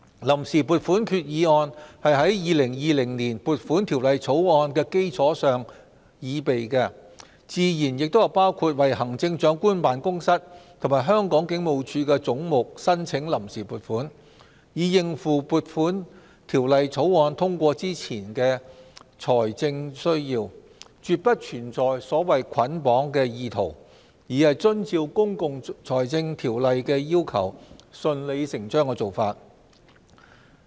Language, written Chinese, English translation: Cantonese, 臨時撥款決議案是在《2020年撥款條例草案》的基礎上擬備，自然包括為行政長官辦公室及香港警務處的總目申請臨時撥款，以應付《2020年撥款條例草案》通過前的財政需要，絕不存在所謂"捆綁"的意圖，而是遵照《公共財政條例》的要求、順理成章的做法。, The Vote on Account Resolution is prepared on the basis of the Appropriation Bill 2020; it certainly includes provisional appropriation in relation to heads of the Chief Executives Office and the Hong Kong Police with a view to dealing with the financial needs before the passage of the Appropriation Bill 2020 . There is absolutely no issue of any attempt to bundle everything altogether